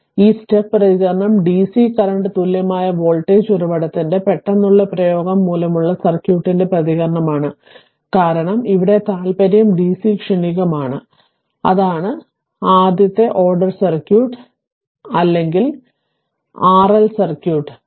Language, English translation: Malayalam, Now, the step response is the response of the circuit due to a sudden application of dc current or voltage source because our interest here is dc transient and that is first order circuit either RC circuit or RL circuit right